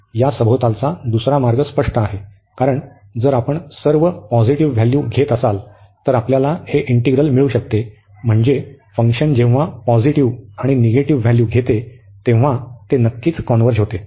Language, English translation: Marathi, The other way around this is obvious, because if we taking all the positive value is still we can get this integral, so naturally when we take the when the function takes positive and negative values, it will certainly converge